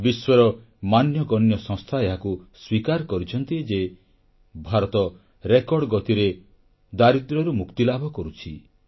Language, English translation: Odia, Noted world institutions have accepted that the country has taken strides in the area of poverty alleviation at a record pace